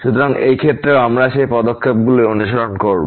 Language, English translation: Bengali, So, in this case also we will follow those steps